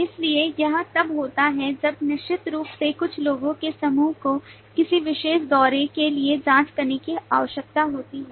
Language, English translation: Hindi, So it comes in place when certainly some group of people need to check in for a particular tour